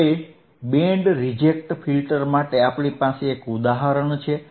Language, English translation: Gujarati, Now, for Band Reject Filter, we have an example